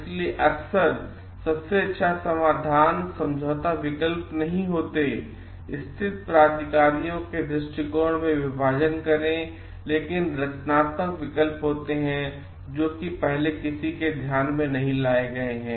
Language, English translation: Hindi, So, often the best solutions are not compromises that split the differences between the stated positions, but the creative options that have not been brought into focus